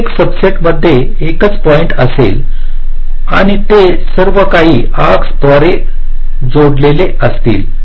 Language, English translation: Marathi, each subset will consist of a single point and they will be all connected by some arcs